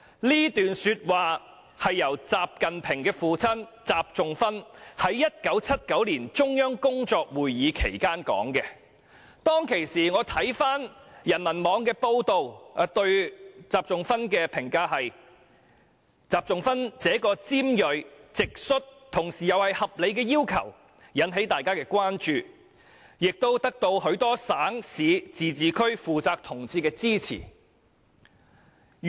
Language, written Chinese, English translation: Cantonese, "這段說話是習近平的父親習仲勛在1979年的中央工作會議期間發表的，我看回當時人民網的報道，對習仲勛的評價是"習仲勛這個尖銳、直率同時又是合理的要求，引起大家的關注，也得到許多省、市、自治區負責同志的支持"。, These remarks were made by XI Zhongxun XI Jinpings father in 1979 during a work meeting of the Central Authorities . I have checked the news report on the Peoples Daily Online back then . Its comment on XI Zhongxun was This blunt candid and at the same time reasonable request made by XI Zhongxun has aroused peoples concern and gained the support of the comrades concerned in many provinces municipalities and autonomous regions